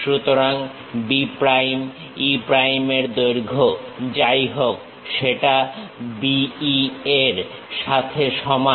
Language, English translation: Bengali, So, whatever the length of B prime, E prime, that is same as B E